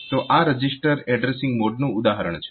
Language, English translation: Gujarati, So, this is an example of this register addressing mode